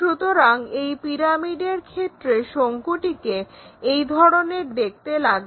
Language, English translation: Bengali, So, this is the way cone really looks like in the pyramid